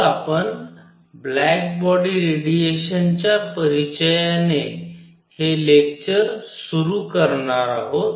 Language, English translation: Marathi, So, we are going to start this lecture with introduction to black body radiation